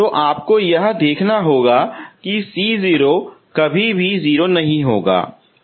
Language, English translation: Hindi, So you have to look for this that C0 never be 0